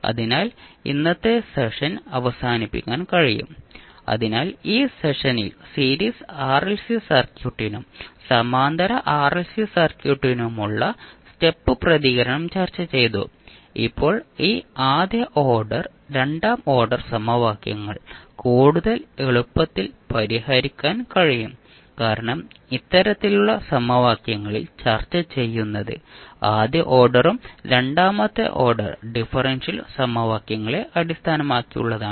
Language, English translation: Malayalam, so with this we can close our today’s session, so in this session we discussed the step response for Series RLC Circuit as well as the Parallel RLC Circuit and now we will proceed forward to solve this first order second order equations in more easier format, because in this type of equations till know what we discussed was based on the differential equations those were first order and second order differential equations